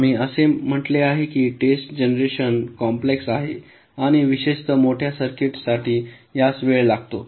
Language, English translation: Marathi, we also said the test generation is complex and it takes time, particularly for larger circuits